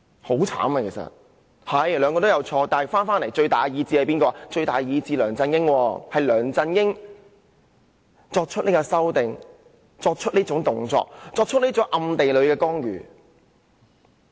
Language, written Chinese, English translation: Cantonese, 雖然他們兩人都有錯，但最大意志的是梁振英，是梁振英作出各項修改、作出暗地干預這動作的。, Although both of them have done wrong LEUNG Chun - ying has exercised the strongest will and made all the amendments and he has even interfered in secret